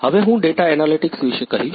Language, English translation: Gujarati, Now I will say about data analytics